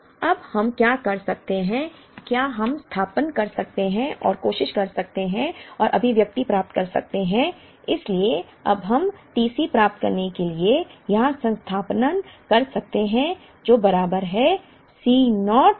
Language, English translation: Hindi, So, what we can do now, is we can substitute and try and get the expressions for, so now we can substitute here to get T C is equal to C naught w D